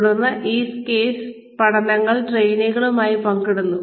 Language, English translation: Malayalam, Then, these case studies are shared with the trainees